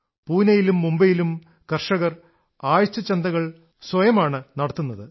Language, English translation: Malayalam, Farmers in Pune and Mumbai are themselves running weekly markets